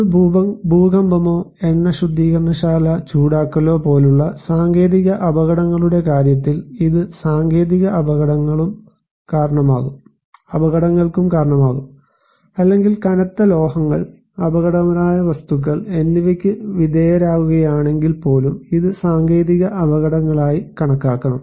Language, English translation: Malayalam, In case of technological hazards like, if there is an earthquake or heating an oil refinery, it can also cause technological hazards or even if we are exposed to heavy metals, hazardous materials, this should be considered as technological hazards